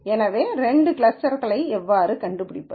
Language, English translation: Tamil, So, how do we find the two clusters